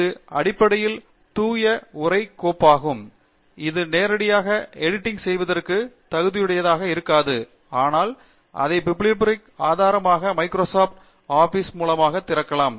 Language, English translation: Tamil, It is basically pure text file, this may be not amenable for editing directly, but it can be opened in Microsoft Office as a bibliographic source